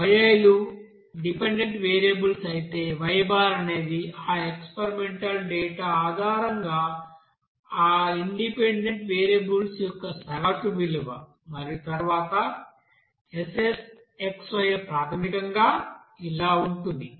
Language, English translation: Telugu, Here Yi is the you know dependent variables whereas Y bar is the average value of that dependent variables based on that experimental data and then SSxy is basically that and then you have to sum all those data